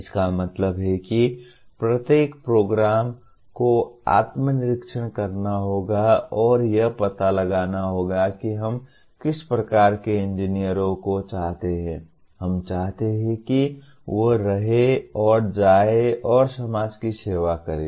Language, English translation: Hindi, That means each program will have to introspect and find out what kind of engineers we want to, we want them to be and go and serve the society